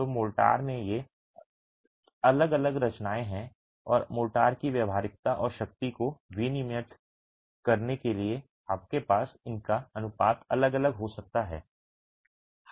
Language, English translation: Hindi, So these are the different compositions in the motor and you can have varying proportions of these to regulate workability and strength of the motor